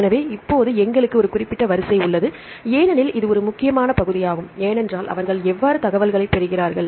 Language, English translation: Tamil, So, now, we have a reference because this is an important part, because how they obtain the information